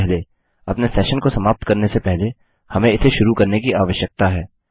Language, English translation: Hindi, First of all, before we destroy our session we need to start it